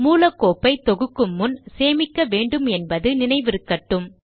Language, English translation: Tamil, Remember to save the source file before compiling